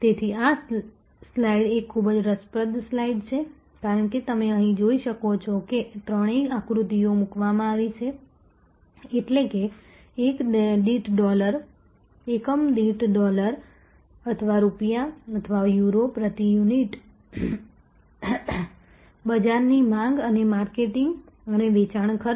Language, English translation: Gujarati, So, this slide tells us that this is a very interesting slide as you can see here all three diagrams are put on; that means, market demand per unit dollars or rupees or Euros per unit and marketing and sales expenses